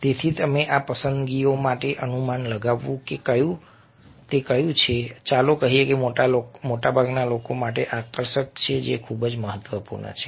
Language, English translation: Gujarati, so this choices and guessing which one would be, let say, appealing for the majority of the people is something which is very, very important